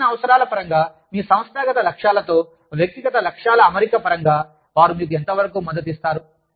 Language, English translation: Telugu, How much, do they support you, in terms of, your training needs, in terms of, your alignment of your personal goals, with the organizational goals, etcetera